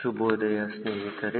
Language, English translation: Kannada, good morning friends